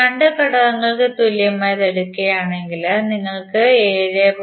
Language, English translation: Malayalam, If you take the equivalent of these 2 elements, you will get 10